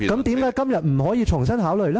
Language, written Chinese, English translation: Cantonese, 為何今天不可以重新考慮？, Why is it impossible to reconsider the issue today?